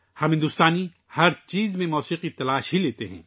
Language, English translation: Urdu, We Indians find music in everything